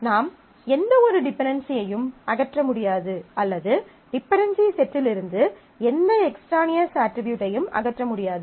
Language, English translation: Tamil, So, neither you can remove any dependency nor you can remove any extraneous attribute from this dependency set